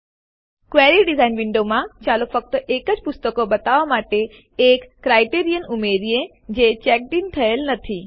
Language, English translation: Gujarati, In the Query Design window, let us add a criterion to show only those books that are not checked in